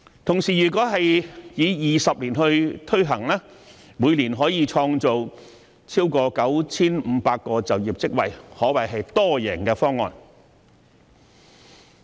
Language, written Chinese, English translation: Cantonese, 同時，如果以20年時間推行，每年便可以創造超過 9,500 個就業職位，可謂一項多贏方案。, In the meantime supposing it would take 20 years to take forward the plan over 9 500 jobs could be created annually which can be described as an all - win proposal